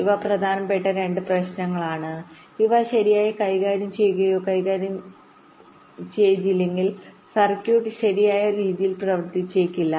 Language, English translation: Malayalam, ok, this are the two problems which are important and if not handled or tackled properly, the circuit might not work in a proper way